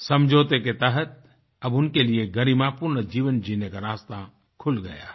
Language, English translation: Hindi, As per the agreement, the path to a dignified life has been opened for them